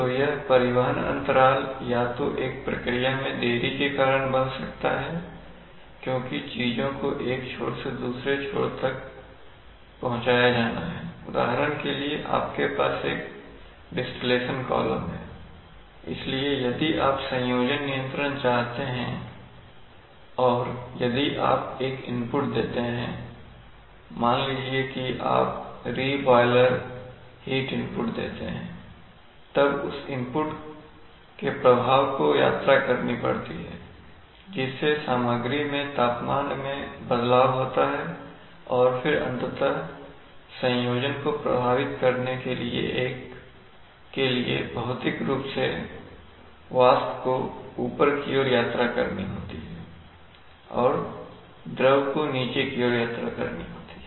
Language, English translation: Hindi, So this transportation lag can cause a delay either in a process because things have to be transported from one end to the other, for example suppose you have a distillation column, so if you want to have composition control and if you give an input, let us say either at the either increase the let us say the re boiler heat input then the effect of that input has to, has to travel that is the which will lead to a temperature change in the material then that has to physically travel up and down that is a vapor has to travel up and the liquid has to travel down